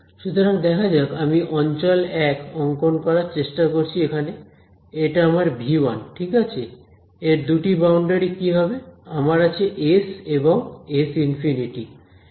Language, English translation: Bengali, So, let us see, so this is our region 1 I am trying to draw region 1 over here this is my v 1 right region 1, what are the two boundaries of this I have S and S infinity ok